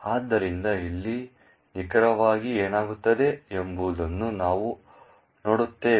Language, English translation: Kannada, So, we will go into what exactly happens over here